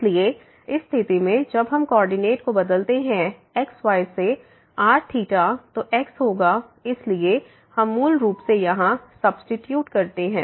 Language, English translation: Hindi, So, in this case when we change the coordinates from to theta, then will be a so we basically substitute here